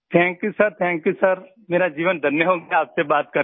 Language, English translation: Hindi, Thank you sir, Thank you sir, my life feels blessed, talking to you